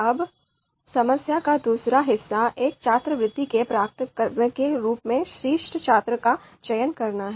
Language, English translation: Hindi, Now the second part of the problem is to select the top students as recipients of a scholarship